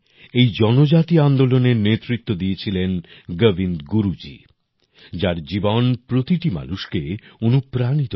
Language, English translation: Bengali, This tribal movement was led by Govind Guru ji, whose life is an inspiration to everyone